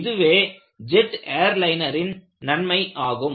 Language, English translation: Tamil, So, this is the advantage of a jetliner